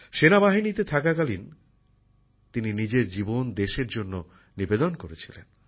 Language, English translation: Bengali, While in the army, he dedicated his life to the country